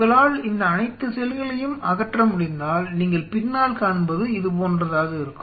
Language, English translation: Tamil, If you could remove all the cells what you will be seeing behind there will be left behind will be something like this